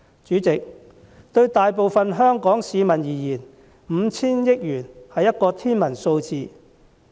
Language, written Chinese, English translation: Cantonese, 主席，對大部分香港市民而言 ，5,000 億元是天文數字。, President 500 billion is an astronomical number to the majority of Hong Kong people